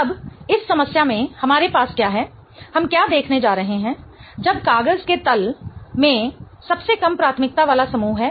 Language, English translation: Hindi, Now, in this problem what we have is what we are going to look at is when the least priority group is in the plane of the paper